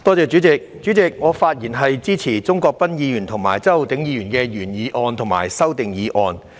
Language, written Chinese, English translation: Cantonese, 代理主席，我發言支持鍾國斌議員的原議案和周浩鼎議員的修正案。, Deputy President I speak in support of the original motion of Mr CHUNG Kwok - pan and the amendment of Mr Holden CHOW